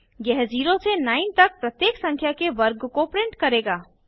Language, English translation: Hindi, This will print the square of each number from 0 to 9